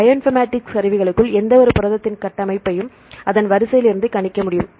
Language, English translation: Tamil, So, within Bioinformatics tools, we can predict the structure of any protein from its sequence